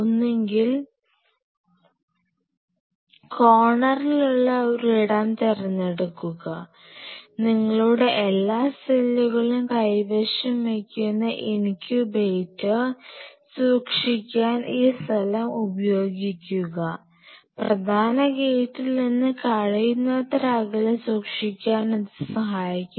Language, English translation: Malayalam, Either a space in the corner and prefer, preferred to keep the incubator which will be holding all you cells all your experimental material see for example, this is the incubator preferred to keep it as far away as possible from the main gate and